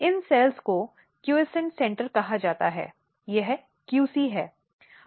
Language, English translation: Hindi, These cells are called quiscent centre, this is QC